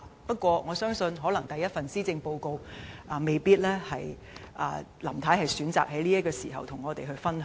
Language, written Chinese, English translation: Cantonese, 不過，我相信可能由於這是林太的首份施政報告，她未必會選擇在此時與我們分享。, Nevertheless I believe Mrs LAM may not choose to share her thoughts with us at this time since this is her first Policy Address